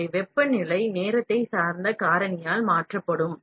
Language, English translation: Tamil, So, temperature would be replaced by time dependent factor